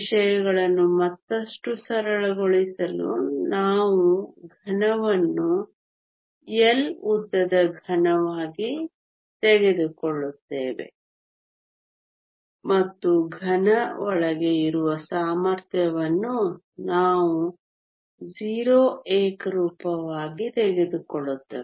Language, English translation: Kannada, To simplify matters further we will take a solid to be a cube of length L and we will also take the potential inside the solid to be 0 uniforms